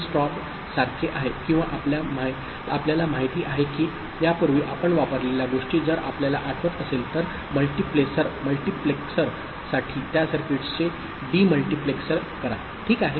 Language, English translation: Marathi, It is like strobe or you know, the kind of thing that we had used before; for multiplexer, demultiplexer those circuits if you remember, ok